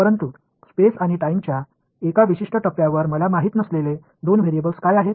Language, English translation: Marathi, But at a particular point in space and time what are the 2 variables that I do not know